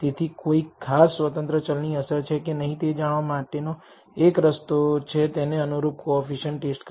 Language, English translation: Gujarati, So, one way of trying to find whether a particular independent variable has an effect is to test the corresponding coefficient